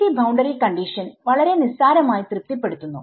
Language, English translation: Malayalam, So, PEC the PEC boundary condition is very trivially being satisfied